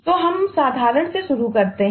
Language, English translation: Hindi, so we start with the simple one